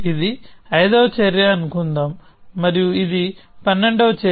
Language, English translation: Telugu, So, let us say this is the fifth action, and this is the twelfth action